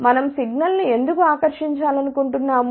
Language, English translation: Telugu, Why we want to attenuate the signal